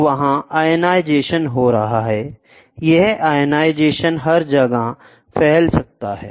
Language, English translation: Hindi, So, there is ionization happening, this ionization can spread everywhere